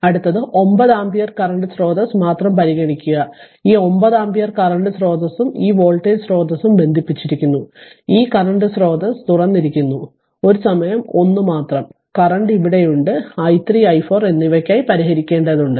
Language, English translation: Malayalam, So, next one is next one is that you consider only 9 ampere current source, this is your 9 ampere current source right; this 9 ampere current source and this voltage source is shorted and this current source is open only one at a time and current is here i 3 and i 4 you solve for you have to solve for i 3 and i 4